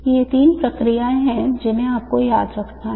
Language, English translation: Hindi, These are the three processes that I would like you to remember